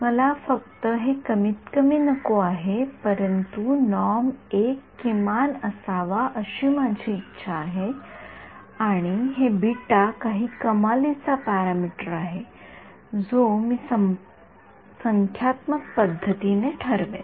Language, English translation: Marathi, Not only do I want this to be minimum, but I also wants the 1 norm to be a minimum and beta is some hyper parameter which I will determine numerically